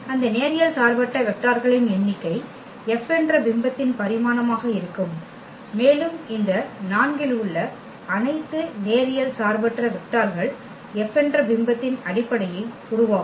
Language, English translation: Tamil, And the number of those linearly independent vectors will be the dimension of the image F and those linearly independent vectors among all these 4 will form basis of the image F